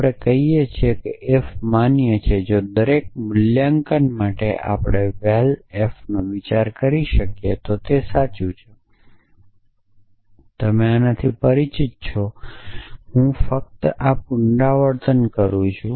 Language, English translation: Gujarati, So, we say f is valid if for every valuation we that we can think of Val f is equal to true, so you are familiar with this notion I just repeating this